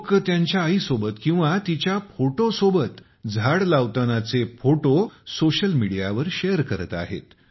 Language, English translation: Marathi, On social media, People are sharing pictures of planting trees with their mothers or with their photographs